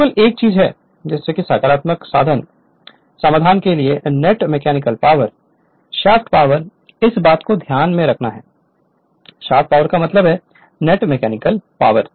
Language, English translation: Hindi, Only thing is that for numerical solving net mechanical power is equal to shaft power this thing you have to keep it in your mind